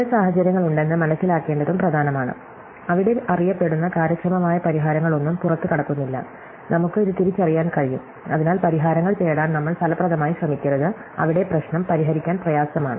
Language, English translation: Malayalam, But it is also important to realize that there are some situations, where no known efficient solutions exists, and we able to recognize this, so that we do not fruitlessly try to look for solutions, where the problem is known to be hard to solve